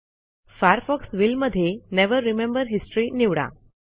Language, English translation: Marathi, In the Firefox will field, choose Never remember history